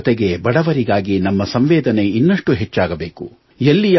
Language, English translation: Kannada, In addition, our sympathy for the poor should also be far greater